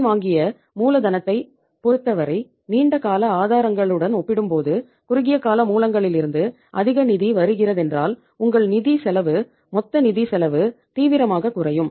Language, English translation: Tamil, If the more funds are coming from the short term sources as compared to the long term sources as far as the borrowed capital is concerned in that case your cost of funds total financial cost is going to seriously go down